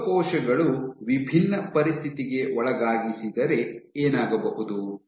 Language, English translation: Kannada, So, if you want to subject the cells to a different situation